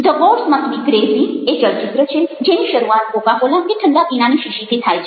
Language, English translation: Gujarati, the gods must be crazy is a movie which is begins with the story of a coca cola bottle or a cold drink bottle